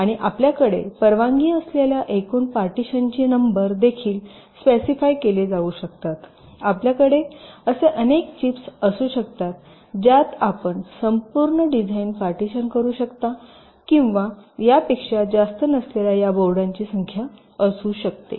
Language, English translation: Marathi, that can also be specified that you can have this many number of chips in which you can partition a whole design or this many number of boards, not more than that